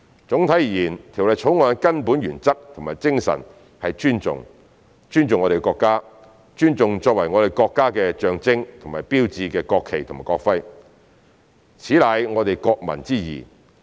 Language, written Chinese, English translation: Cantonese, 總體而言，《條例草案》的根本原則及精神是"尊重"，尊重我們的國家，尊重作為我們國家的象徵和標誌的國旗及國徽，此乃我們國民之義。, Overall speaking the fundamental principle and spirit of the Bill is respect that is to respect our country and respect the national flag and national emblem as the symbols and hallmarks of our country . This is our obligation as the people of our country